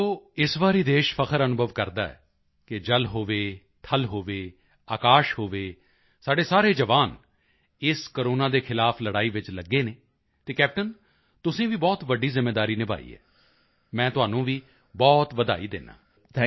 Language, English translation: Punjabi, See this time the country feels proud that whether it is water, land, sky our soldiers are engaged in fighting the battle against corona and captain you have fulfilled a big responsibility…many congratulations to you